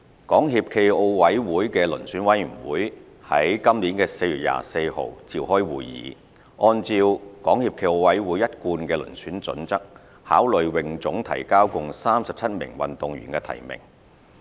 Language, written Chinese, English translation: Cantonese, 港協暨奧委會的遴選委員會於今年4月24日召開會議，按照港協暨奧委會一貫的遴選準則，考慮泳總提交共37名運動員的提名。, The Selection Committee of SFOC held its meeting on 24 April 2018 to consider HKASAs nominations of 37 swimming athletes based on SFOCs established selection criteria